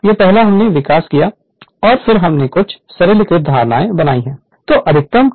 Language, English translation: Hindi, This is first we developed and then we make some simplified assumptions right